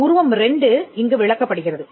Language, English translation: Tamil, explained, here figure 2 is explained here